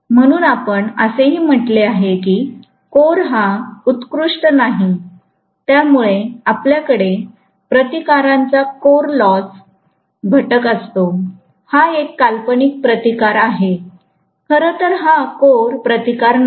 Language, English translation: Marathi, So, we said also that the core is not ideal due to which we do have some core loss component of resistance, this is a fictitious resistance, not really the core resistance as such